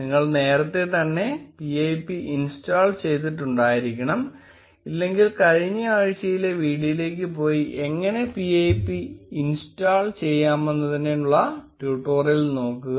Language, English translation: Malayalam, Now you must already have the installed pip if you do not, then go to the previous week's video and look at the tutorial on how to install pip